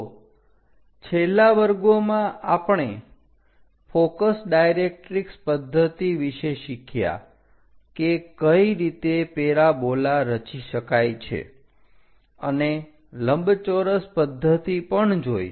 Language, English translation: Gujarati, So, in the last classes, we have learned about focus directrix method; how to construct a parabola and a rectangle method